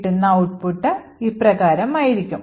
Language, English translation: Malayalam, The output looks as follows